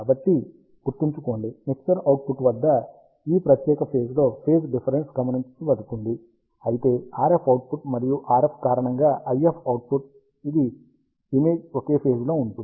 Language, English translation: Telugu, So, remember that, the phase difference is observed at this particular point at the mixer output, whereas the IF output because of RF and IM, which is the image are at the same phase